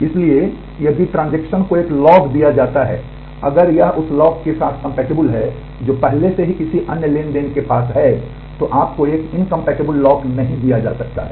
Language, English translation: Hindi, So, if the transaction is granted a log, if it is compatible with the lock that is already held by another transaction, you cannot get an incompatible lock granted to you